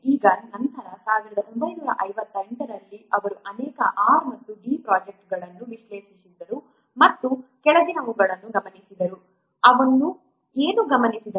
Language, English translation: Kannada, Now then in 1958, he had analyzed many R&E projects and observed the following